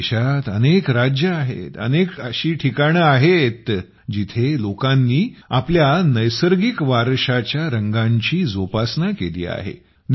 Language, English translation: Marathi, There are many states in our country ; there are many areas where people have preserved the colors of their natural heritage